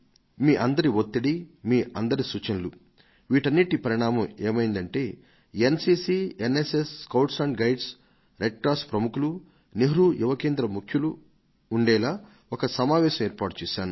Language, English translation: Telugu, It was under pressure from you people, following your suggestions, that I recently called for a meeting with the chiefs of NCC, NSS, Bharat Scouts and Guides, Red Cross and the Nehru Yuva Kendra